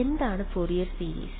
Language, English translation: Malayalam, What is Fourier series